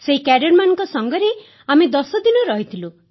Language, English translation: Odia, We stayed with those cadets for 10 days